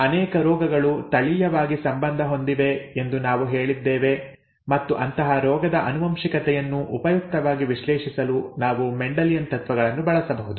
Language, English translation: Kannada, We said that many diseases are genetically linked and to usefully analyse such disease inheritance, we could use Mendelian principles